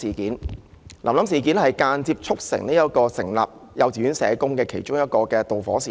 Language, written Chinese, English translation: Cantonese, 大家也知道，這是間接促成設立幼稚園社工的導火線之一。, We all know that the occurrence of the incident is one of the reasons leading indirectly to the provision of social workers in kindergartens